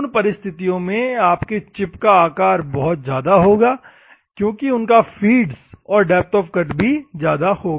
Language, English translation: Hindi, In those circumstances, your chip size will be much larger because their feeds and depth of cuts will be very high